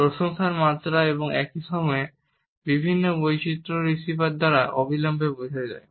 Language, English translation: Bengali, The level of appreciation and at the same time different variations are also immediately understood by the receiver